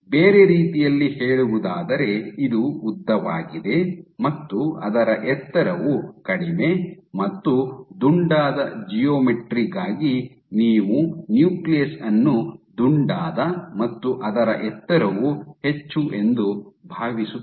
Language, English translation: Kannada, So, in other words it is elongated and its height is less here for the rounded geometry you would assume that the nucleus would also be rounded and its height will be more